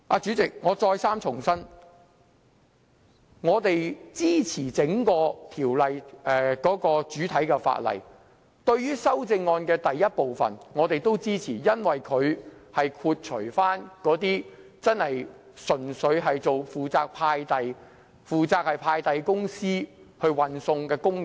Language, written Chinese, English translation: Cantonese, 主席，我再三重申，我們支持整項《條例草案》的主體，對於第一組修正案，我們也支持，因為修正案剔除真正純粹負責送遞或派遞公司負責運送的工人。, Chairman again I reiterate that we support the Bill in general . As regards the first group of amendments we will offer our support too as it excludes those staff who are truly responsible for nothing else but delivery as well as those employed by the courier companies